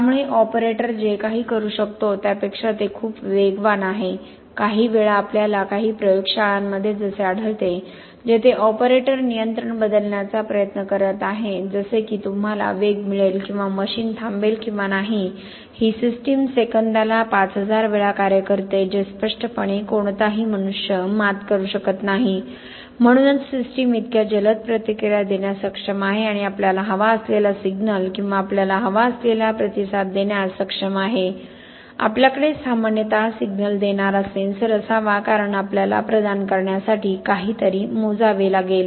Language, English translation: Marathi, So it is much faster than what an operator could do, sometimes we find in some labs where the operator is trying to change the control such that you get the velocity or the machine stops or not, this system acts as 5000 times a second which obviously no human being can beat, so that is why the system is able to react so fast and give us the signal that we want or the response that we want, we generally should have a sensor giving a signal because we have to measure something to provide feedback, this signal should not have noise, very low noise, generally we say the noise should be less than 0